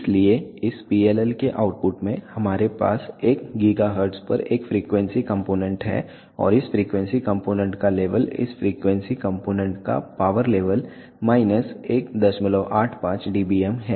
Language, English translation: Hindi, So, the at the output of this PLL we have a frequency component at one gigahertz and the level of this frequency component or the power level of this frequency component is minus 1